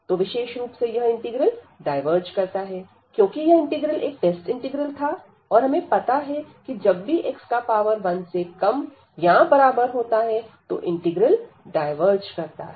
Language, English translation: Hindi, So, this basically diverges this integral as this was a test integral and we have the divergence whenever this power of this x is less than or equal to 1